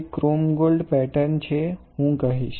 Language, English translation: Gujarati, So, it is a chrome gold pattern, I will say